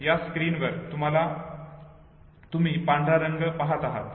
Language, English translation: Marathi, So on this screen when you see know in the white